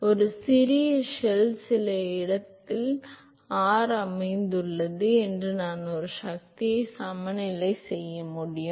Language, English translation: Tamil, So, if the small shell is located at some r location and I can make a force balance